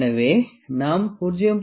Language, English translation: Tamil, So, we can find 0